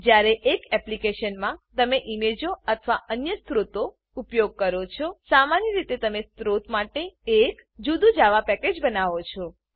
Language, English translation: Gujarati, When you use images or other resources in an application, typically you create a separate Java package for the resource